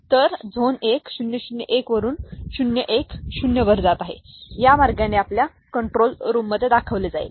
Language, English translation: Marathi, So, from zone 1 0 0 1 it is going to 0 1 0, that is the way it will be kind of you know, shown in that control room, right